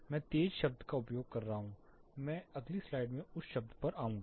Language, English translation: Hindi, I am using the term loud I will come to that term in the next slide